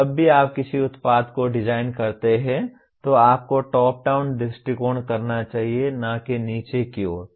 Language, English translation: Hindi, That is whenever you design a product you should do top down approach not bottoms up